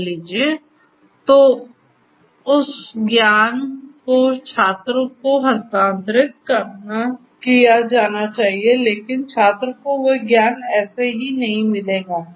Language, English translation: Hindi, So, basically that knowledge has to be transferred to the student, but the student you know will not get that knowledge just like that